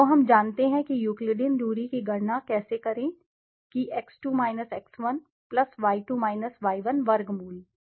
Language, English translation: Hindi, So we know how to calculate the Euclidean distance that x2 x1 +y2 y1 square root over